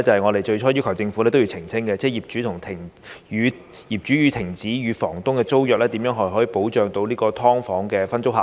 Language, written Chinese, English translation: Cantonese, 我們最初要求政府澄清的另一項修訂，是業主停止與房東的租約時如何保障"劏房"分租客。, At the beginning we requested the Government to make another amendment for clarification regarding the protection for the SDU sub - tenant upon the termination of the superior tenancy agreement between the superior landlord and the sub - landlord